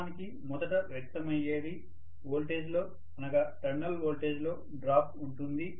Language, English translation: Telugu, So, what actually is manifested is 1 is there is the drop in the voltage, in the terminal voltage